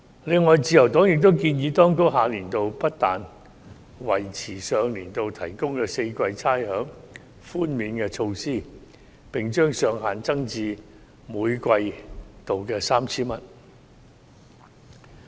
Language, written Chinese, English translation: Cantonese, 此外，自由黨亦建議當局下年度不但維持上年度提供4季差餉寬免措施，並把上限增至每季度 3,000 元。, In addition the Liberal Party also suggested the Administration to continue to provide rate concessions for all four quarters next year as per last year and raise the ceiling to 3,000 per quarter